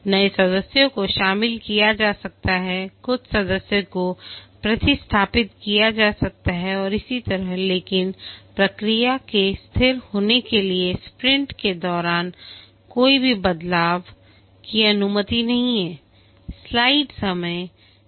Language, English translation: Hindi, New members may be inducted, some member may be replaced and so on, but for the process to be stable, no changes are allowed during a sprint